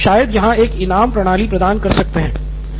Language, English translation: Hindi, We can probably provide a reward system